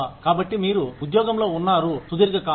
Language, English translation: Telugu, So, you have been in that job, for a long period of time